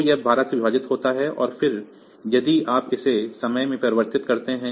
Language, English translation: Hindi, So, this divided by 12 and then if you convert it into time